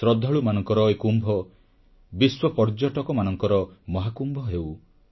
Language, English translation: Odia, May this Kumbh of the devotees also become Mahakumbh of global tourists